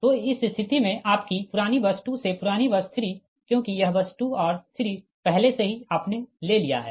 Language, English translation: Hindi, so in that case, your old bus two to old bus, three, because this bus two and three already